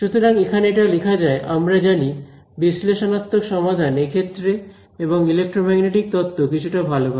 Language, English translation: Bengali, So, Let us just write that down over here we know analytical solutions and then, the situation and electromagnetic theory was a little bit better